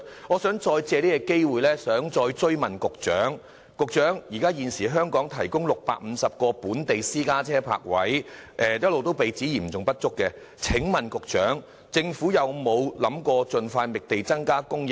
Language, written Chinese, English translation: Cantonese, 我想藉這個機會追問局長，現時香港提供650個本地私家車泊位，一直被指嚴重不足，請問政府有否考慮盡快覓地增加泊車位？, I would like to take this opportunity to follow the matter up with the Secretary . The current plan of providing 650 parking spaces in Hong Kong for private cars has all along been criticized as seriously inadequate . Has the Government considered expeditiously identifying sites for providing more parking spaces?